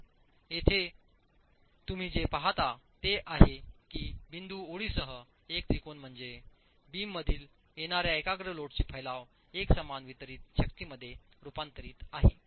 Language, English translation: Marathi, So what you see here is this triangle with the dotted lines is actually the dispersion of the concentrated load coming from the beam converted into uniform distributed force